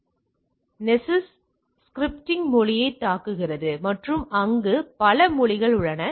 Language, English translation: Tamil, So, nessus attack scripting language and there are several language is there